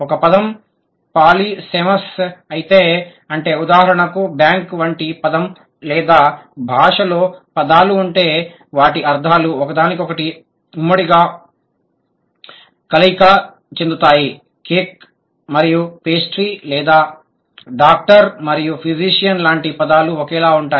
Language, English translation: Telugu, If a word is polysamous, that means for example the word like bank, or if the language has words whose meanings either overlap, cake and pastry or are identical, something like doctor and physician